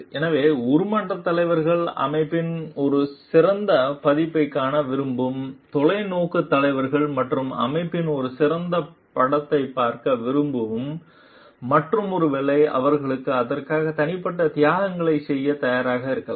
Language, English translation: Tamil, So, transformational leaders are visionary leaders who want to see the better version of the organization who want to see a better image of the organization and in that maybe if they are ready to make personal sacrifices for it also